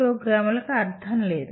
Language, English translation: Telugu, program has no meaning